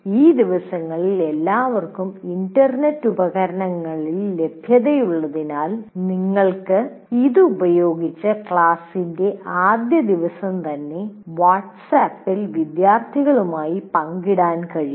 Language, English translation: Malayalam, These days as everybody is accessible on internet devices, you can put this up and share with the students in WhatsApp right on the first day of the class